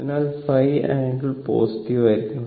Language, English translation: Malayalam, So, phi angle should be positive, right